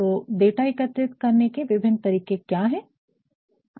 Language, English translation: Hindi, So, what are the different ways you will collect the data